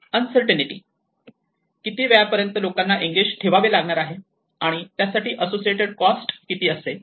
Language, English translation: Marathi, Uncertainty as to how long they may need to be engaged and for the associated cost